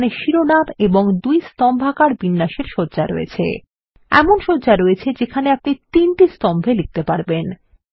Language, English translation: Bengali, There are layouts with titles and two columnar formats, layouts where you can position text in three columns and so on